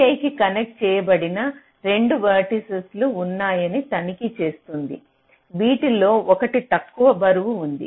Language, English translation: Telugu, it checks that there are two vertices connected to v i, which one has the shortest weight